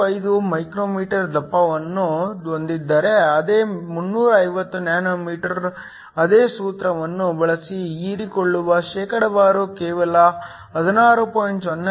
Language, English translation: Kannada, 35 μm, so the same 350 nm the percentage absorbed using the same formula is only 16